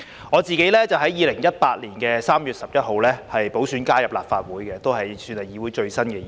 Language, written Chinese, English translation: Cantonese, 我自己是在2018年3月11日經補選加入立法會的，算是議會裏最新的議員。, I entered the Legislative Council by winning the by - election on 11 March 2018 so I am presumably the newest Member of this Council